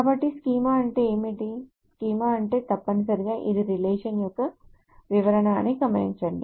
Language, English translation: Telugu, So note that what is schema means, a schema essentially means that this is the description of the relation